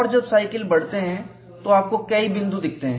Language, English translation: Hindi, And when the cycle is increased, you see several dots